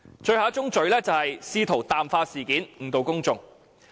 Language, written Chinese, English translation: Cantonese, 最後一宗罪是試圖淡化事件，誤導公眾。, The last fallacy is their attempt to water down the incident and mislead the public